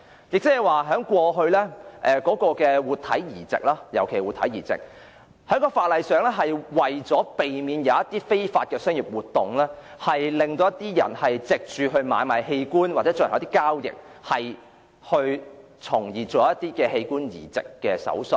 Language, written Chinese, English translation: Cantonese, 就過去的活體移植而言，這種限制的目的是為了在法律上避免非法商業活動，或有人為販賣器官或進行器官交易而進行器官移植手術。, In the previous cases of live organ transplant this restriction is aimed to prevent illegal commercial activities through the law or organ transplant surgeries for the sale and trading of organs